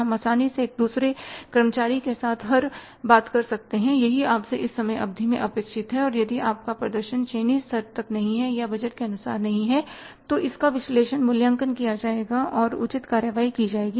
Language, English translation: Hindi, We can easily communicate to each and every employee at each and every level in the firm that this is expected from you during this period of time and if your performance is not up to the mark or as per the budgets, it will be evaluated, analyzed and appropriate action will be taken